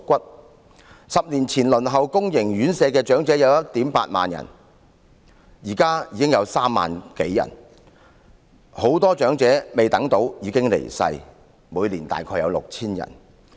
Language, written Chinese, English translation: Cantonese, 在10年前輪候公營院舍的長者有 18,000 人，現時已經增至3萬多人，很多長者未等到宿位便已經離世，每年大約為 6,000 人。, The number of elderly people waiting for places at government - subsidized homes 10 years ago was 18 000 . It has now increased to more than 30 000 . Many elderly people about 6 000 a year have passed away while waiting for such places